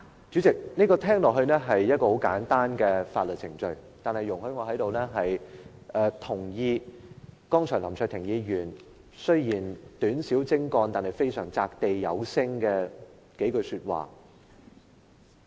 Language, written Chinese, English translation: Cantonese, 主席，聽起來，這是一個十分簡單的法律程序，但容許我在這裏贊同林卓廷議員剛才短小精幹，但擲地有聲的數句說話。, President it seems that only a very simple legal procedure is involved in this matter but allow me to express my concurrence here with the succinct yet powerful remarks made by Mr LAM Cheuk - ting